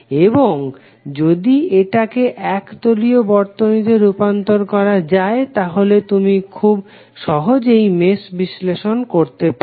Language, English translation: Bengali, And if it can be converted into planar circuit you can simply run your mesh analysis